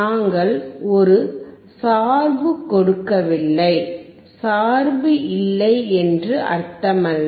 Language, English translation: Tamil, We have not given a bias; that does not mean that bias is not there